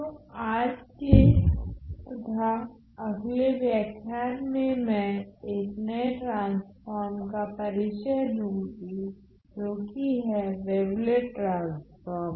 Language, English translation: Hindi, So, in today’s and the next lecture I am going to introduce yet another new transform that is the Wavelet Transform